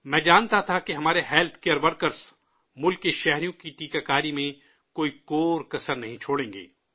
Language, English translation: Urdu, I knew that our healthcare workers would leave no stone unturned in the vaccination of our countrymen